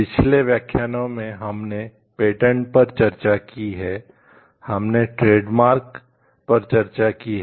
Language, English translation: Hindi, In the last lecture we have discussed about patents, we have discussed about trademarks, we have discussed also about industrial designs